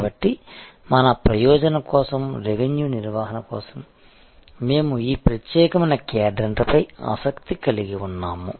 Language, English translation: Telugu, So, for our purpose, for the revenue management we are interested in this particular quadrant